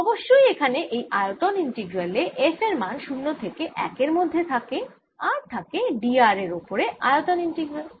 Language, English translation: Bengali, off course there's a volume integral f varies from zero to one and there is a volume integral d r